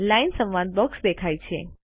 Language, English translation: Gujarati, The Line dialog box appears